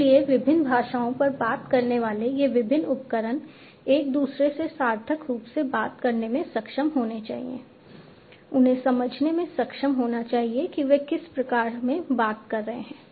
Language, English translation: Hindi, So, these different devices talking different languages they should be able to talk to each other meaningfully, they should be able to understand what they are talking about